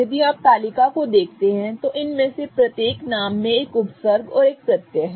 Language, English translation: Hindi, If you look at the table, each of these names has a prefix and a suffix